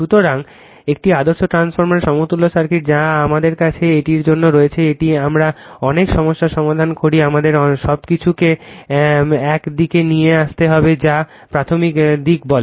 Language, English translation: Bengali, So, equivalent circuitof a transformer that is that is we have to this is this one we lot solve the problem we have to bring everything to one side that is say primary side